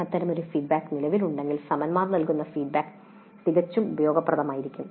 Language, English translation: Malayalam, If such a mechanism exists, then the feedback given by the peers can be quite useful